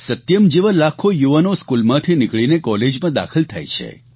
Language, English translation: Gujarati, Like Satyam, Hundreds of thousands of youth leave schools to join colleges